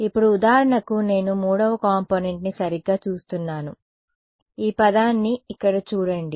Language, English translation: Telugu, Now for example, I look at the 3rd component right so, this term over here